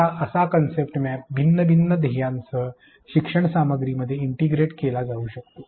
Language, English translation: Marathi, Now, such a concept map can be integrated into learning content with different learning goals